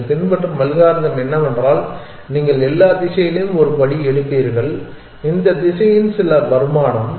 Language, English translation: Tamil, The algorithm that you would follow is that you would pose possibly take a step in all direction well some income this set of direction